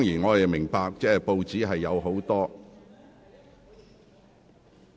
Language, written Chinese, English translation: Cantonese, 我明白報章有很多......, I understand that in the press there are many